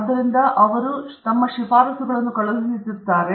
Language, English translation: Kannada, So, they will send their recommendations